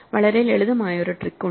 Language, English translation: Malayalam, So, there is a very simple trick